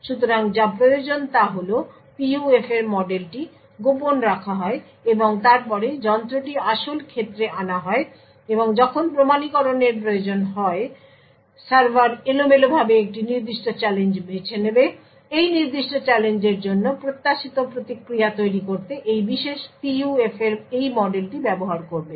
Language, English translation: Bengali, So what is required is that this model for the PUF is kept secret and then the device is actually fielded and when authentication is required, the server would randomly choose a particular challenge, it would use this model of this particular PUF to create what is the expected response for that particular challenge